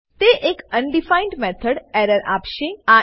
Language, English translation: Gujarati, It will give an undefined method error